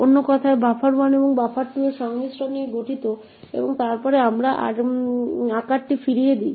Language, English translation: Bengali, In other words out comprises of the concatenation of buffer 1 and buffer 2 and then we return the size